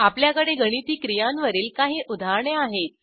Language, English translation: Marathi, I already have a working example of arithmetic operators